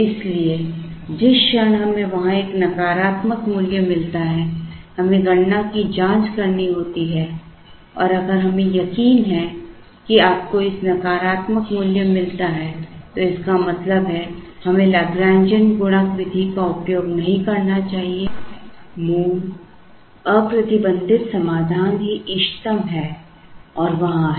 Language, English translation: Hindi, So, the moment we get a negative value there, we have to check the calculation and if we are sure that you get a negative value it means, we should not have used the Lagrangian multiplier method the original unconstrained solution itself is optimal and there is no need to use this method to get the new values of the order quantities